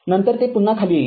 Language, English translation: Marathi, Then it again will come down